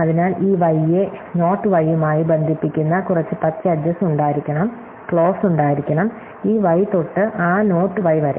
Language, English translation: Malayalam, So, there should be some more green edges perhaps connecting this y to that not y is, so there should be clause, so this y to that not y